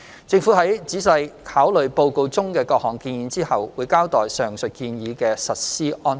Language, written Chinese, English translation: Cantonese, 政府在仔細考慮報告中的各項建議後，會交代上述建議的實施安排。, Upon receipt of the completed consultancy report the Government will study carefully the recommendations and announce the implementation details of the proposal